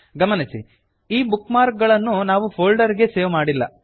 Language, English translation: Kannada, Notice that we have not saved these bookmarks to a folder